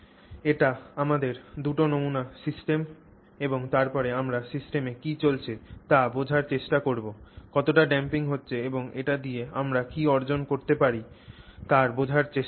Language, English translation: Bengali, So, this is your two samples systems we have and then we are trying to understand what is going on in the system, try to understand how much damping is happening and what we can accomplish with it